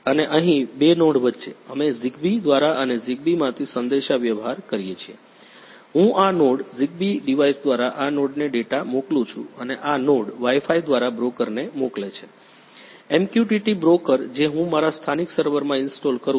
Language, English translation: Gujarati, And here between two nodes, we communicate through a Zigbee and from Zigbee, I this node send a data through this node through Zigbee device and this node send through Wi Fi to a broker is MQTT broker which I installed in my local server